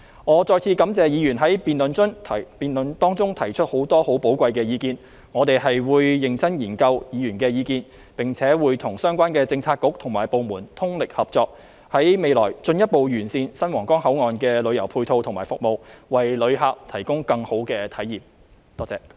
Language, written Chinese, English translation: Cantonese, 我再次感謝議員在辯論中提出很多寶貴意見，我們會認真研究議員的意見，並且跟相關政策局和部門通力合作，在未來進一步完善新皇崗口岸的旅遊配套和服務，為旅客提供更好的體驗，多謝。, I wish to thank Members once again for expressing their invaluable views in the motion debate and we will seriously study views expressed by Members . In addition we will fully cooperate with the relevant Policy Bureaux and government departments in order to provide a better experience for visitors by means of further improving the supporting tourism facilities and services at the new Huanggang Port thank you